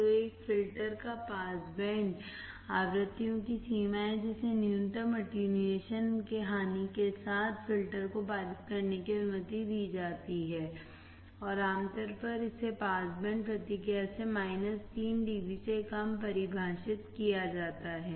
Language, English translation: Hindi, So, pass band of a filter is the range of frequencies that are allowed to pass the filter with minimum attenuation loss and usually it is defined there less than minus 3 dB from the pass band response